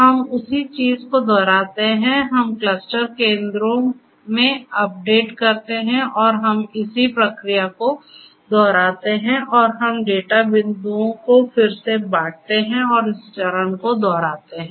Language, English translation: Hindi, We repeat the same thing we update the clusters update the not the cluster, but the cluster centers we update the cluster centers and we repeat this process likewise and we reassign the data points and repeat this step in circles